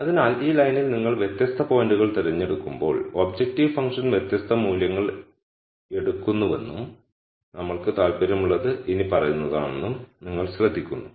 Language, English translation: Malayalam, So, you notice that as you pick different points on this line the objective function takes different values and what we are interested in is the following